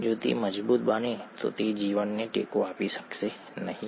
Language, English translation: Gujarati, If it solidifies probably it won’t be able to support life